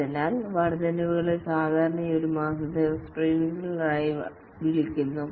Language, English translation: Malayalam, So the increments are called here as sprints, typically one month